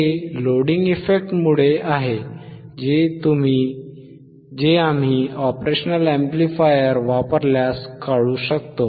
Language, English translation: Marathi, Since, loading effect, which we can remove if we use the operational amplifier if we use the operational amplifier that